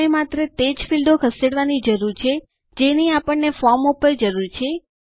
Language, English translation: Gujarati, We will need to move only those fields which we need on the form